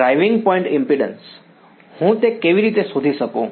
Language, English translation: Gujarati, Driving point impedance, how I find that